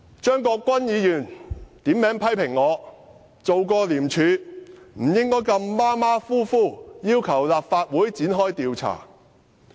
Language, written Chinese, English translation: Cantonese, 張國鈞議員點名批評我曾經在廉署工作，不應該如此馬虎地要求立法會展開調查。, Mr CHEUNG Kwok - kwan criticized me saying that since I had once worked in ICAC I should not casually ask the Legislative Council to conduct an investigation